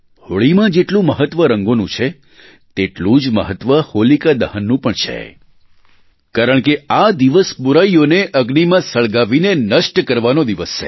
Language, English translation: Gujarati, In The festival of Holi, the importance of colors is as important as the ceremony of 'HolikaDahan' because it is the day when we burn our inherent vices in the fire